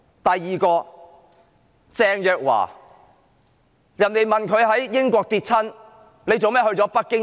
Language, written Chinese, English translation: Cantonese, 第二位是鄭若驊，有人問她為何在英國跌倒，卻要到北京醫治？, The second one is Teresa CHENG . She was asked why she after tripping in the United Kingdom had to go to Beijing for treatment